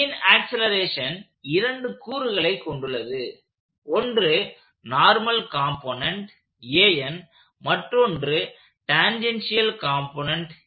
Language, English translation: Tamil, So, the acceleration of B itself has two components; there is a normal component and then there is a tangential component given by each of these terms